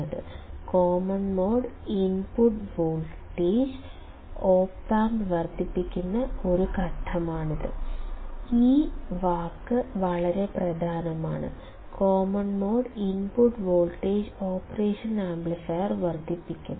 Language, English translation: Malayalam, That it is a factor by which the common mode input voltage is amplified by the Op amp; this word is very important, common mode input voltage is amplified by the operation amplifier